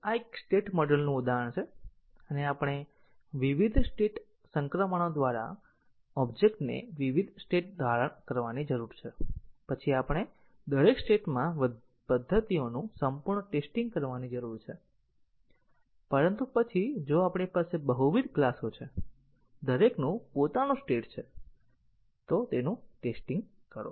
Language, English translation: Gujarati, So, this is an example of a state model and we need to have the object assume different states through the different state transitions and then we need to do full testing of the methods in each of the states, but then if we have multiple classes to be tested each one has its own state